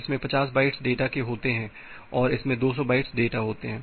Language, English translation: Hindi, This contains 50 bytes of data and this contains 200 bytes of data